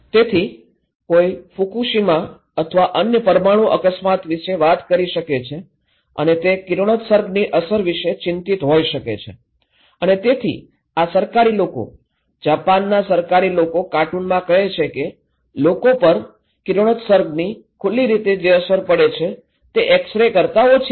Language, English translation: Gujarati, So, somebody may be talking about Fukushima or other nuclear accident and they may be worried about the radiation impact and so these government people, Japan government people in a cartoon is saying that the radiation, the way people are exposed actually is lesser than when they are having x ray